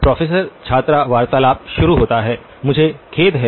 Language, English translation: Hindi, “Professor – student conversation starts” I am sorry